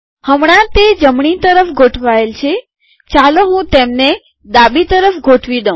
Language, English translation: Gujarati, Right now it is right aligned let me make them left aligned